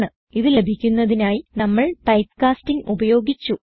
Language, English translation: Malayalam, We used type casting to obtain these result